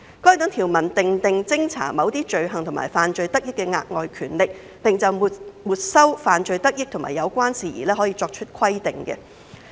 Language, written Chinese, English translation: Cantonese, 該等條文訂定偵查某些罪行及犯罪得益的額外權力，並就沒收犯罪得益及有關事宜作出規定。, Those provisions provide for additional powers for investigating certain offences and proceeds of crimes as well as the confiscation of such proceeds and related matters